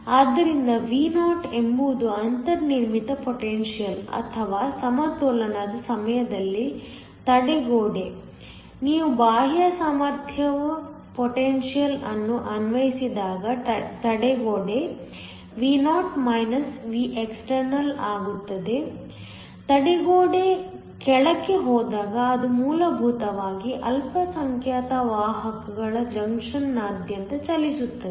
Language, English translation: Kannada, So, V naught is the built in potential or the barrier during equilibrium when you apply an external potential the barrier is Vo Vexternal when the barrier goes down it basically have minority carriers moving across the junction